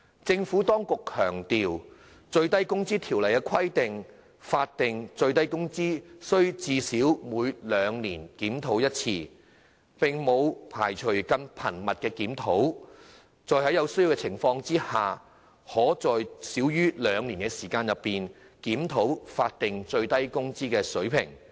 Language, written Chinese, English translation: Cantonese, 政府當局強調，《最低工資條例》規定，法定最低工資須最少每兩年檢討一次，並沒有排除更頻密的檢討，在有需要的情況下，可在少於兩年的時間內，檢討法定最低工資水平。, The Administration stresses that the Minimum Wage Ordinance MWO requires that SMW should be reviewed at least once in every two years without precluding more frequent rate reviews . Should the circumstances warrant the SMW rate can be reviewed in less than two years